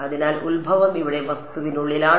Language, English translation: Malayalam, So, origin is here inside the object